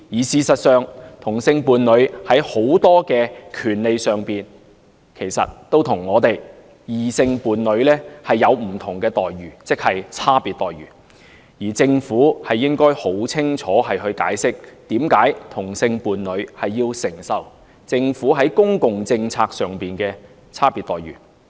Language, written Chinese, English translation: Cantonese, 事實上，同性伴侶在諸多權利上都與異性伴侶有不同的待遇，即有差別待遇，而政府理應清晰地解釋，為何同性伴侶要承受政府在公共政策上的差別待遇。, In fact homosexual couples are treated differently or differentially from heterosexual couples in respect of a great number of rights and the Government should clearly explain why homosexual couples are subjected to the Governments differential treatment in public policies